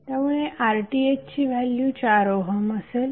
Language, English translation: Marathi, So finally the RTh value is 4 ohm